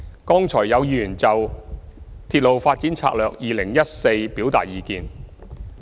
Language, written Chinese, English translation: Cantonese, 剛才有議員就《鐵路發展策略2014》表達意見。, Earlier on some Members expressed their views on Railway Development Strategy 2014